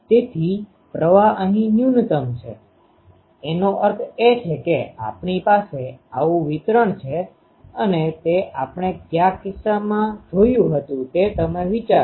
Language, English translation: Gujarati, So, current has a minimum here; that means, we have a distribution like this that we have seen in case of the um when we have seen you think